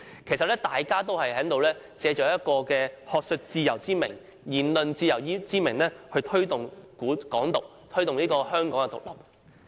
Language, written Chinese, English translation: Cantonese, 其實大家也是藉學術自由之名、言論自由之名來推動"港獨"，推動香港獨立。, In fact all of them are tantamount to advocacy for Hong Kong independence under the guise of academic freedom and freedom of speech